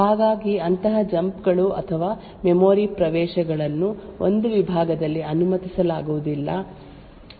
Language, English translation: Kannada, So how do we actually ensure that such jumps or memory accesses are not permitted within a segment